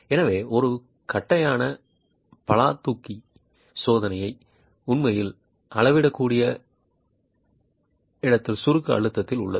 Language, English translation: Tamil, So what a flat jack test can actually measure is in situ compressive stress